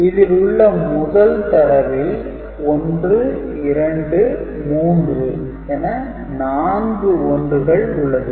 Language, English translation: Tamil, So, this has got 1 2 3 4, four 1